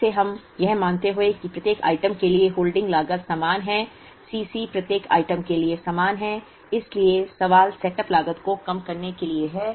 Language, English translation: Hindi, Again assuming that the holding cost is the same for each item C c is the same for each item, so the question is to minimize the setup cost